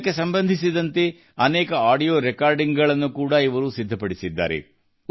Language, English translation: Kannada, He has also prepared many audio recordings related to them